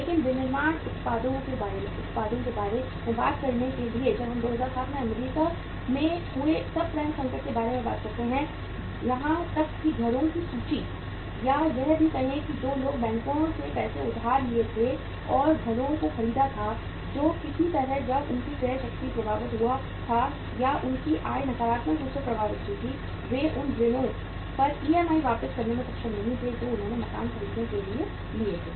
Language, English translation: Hindi, But to talk of the manufacturing products when we talk about the subprime crisis that happened in US in 2007 even the inventory of the houses or the say people who were who had borrowed money from the banks and had purchased the houses then somehow when their purchasing power was affected or their income was negatively affected they were not able to repay back the EMIs on the loans which they had taken for buying the houses